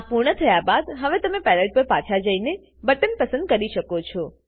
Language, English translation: Gujarati, Now Go back to the Palette and choose a Panel